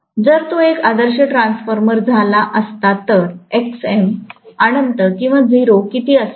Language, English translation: Marathi, If it had been an ideal transformer, how much will be Xm, infinity or 0